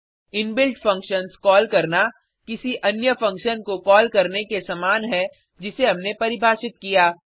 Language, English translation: Hindi, Calling inbuilt functions, similar to calling any other function, which we define